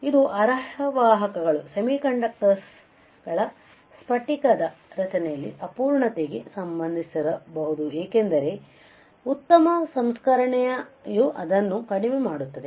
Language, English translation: Kannada, It may be related to imperfection in the crystalline structure of semiconductors as better processing can reduce it